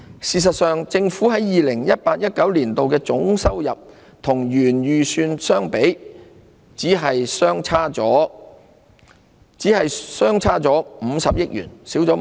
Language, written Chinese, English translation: Cantonese, 事實上，政府在 2018-2019 年度的總收入與原本預算相比，只相差50億元。, As a matter of fact there was only a difference of 5 billion between total Government expenditure for 2018 - 2019 and the original estimate